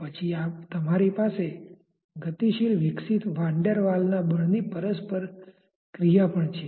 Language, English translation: Gujarati, Then you also have a dynamically evolving maybe Van Der Waal s force of interaction